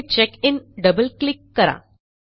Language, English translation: Marathi, Here we will double click on CheckIn